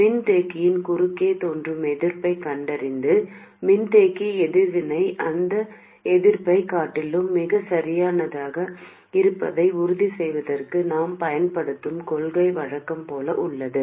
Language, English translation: Tamil, The principle we use is as usual to find the resistance that appears across the capacitor and make sure that the capacity reactance is much smaller than that resistance